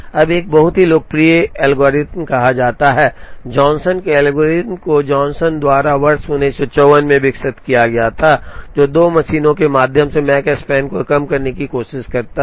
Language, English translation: Hindi, Now, a very popular algorithm is called the Johnson’s algorithm was developed by Johnson in the year 1954, which tries to minimize the Makespan on 2 machines